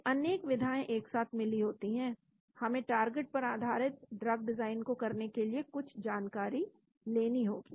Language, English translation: Hindi, So, so many areas combined together, we need to have some knowledge to get the target based drug design